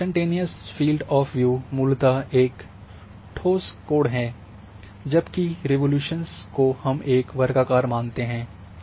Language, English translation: Hindi, So, when data is collected instantaneous field of view is a basically a solid angle, whereas the resolution which we assume is a square in shape